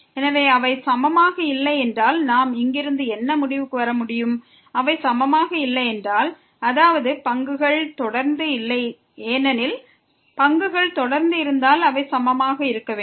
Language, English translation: Tamil, So, what we can conclude from here, if they are not equal, if they are not equal; that means, the derivatives were not continuous because if the derivatives were continuous then they has to be equal